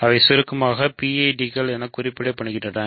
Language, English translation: Tamil, So, they are referred to in short as PIDs